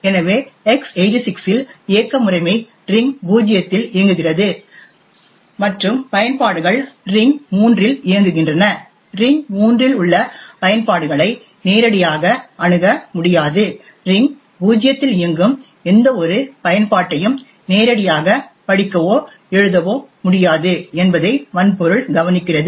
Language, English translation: Tamil, So for example in x86 the operating system runs in ring zero and the applications run in ring three, the hardware takes care of the fact that applications in ring three cannot directly access, cannot directly read or write to any application running in ring zero, since the OS runs in ring zero, therefore it is completely isolated from the user level applications which are running in ring three